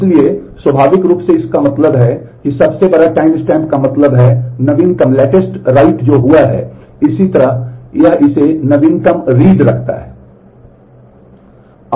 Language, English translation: Hindi, So, naturally what it means the largest timestamp means the latest write that has happened